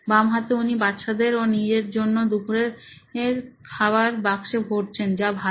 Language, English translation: Bengali, On the left hand side is packing lunch for her kids and for herself which is good, okay